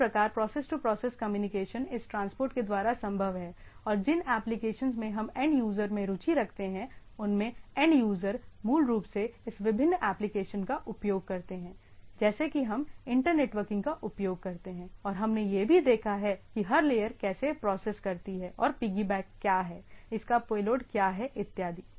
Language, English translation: Hindi, So, that is process to process communication is feasible by this transport and the applications what we are interested in what the end user is interested in where the end user basically use this different applications like what we use in inter networking and type of things and also we have seen that every layer processes and piggyback make its payload and from the things